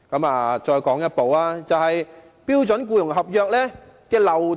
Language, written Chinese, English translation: Cantonese, 另一個問題是標準僱傭合約的漏洞。, Another issue is the loopholes in the standard employment contract